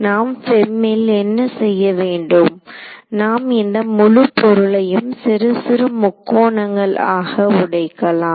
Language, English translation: Tamil, So, what is what do we have to do in the FEM, we will be breaking this whole thing into little triangles right all over and then doing